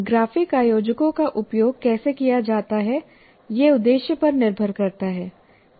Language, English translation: Hindi, So how graphic organizers are used depends on the objective